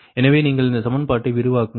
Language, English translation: Tamil, so you expand this equation